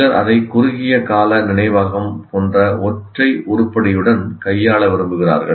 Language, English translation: Tamil, And some people want to deal it with as a single item like short term memory